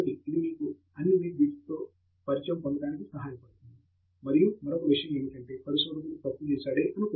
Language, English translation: Telugu, One, of course is, it helps you get familiar with all the nit bits, and the other thing is may be that researcher has made a mistake